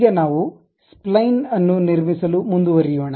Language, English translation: Kannada, Now, let us move on to construct a Spline